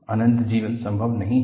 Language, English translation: Hindi, Infinite life is not possible